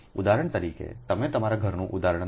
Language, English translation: Gujarati, for example, you take the example of your home, right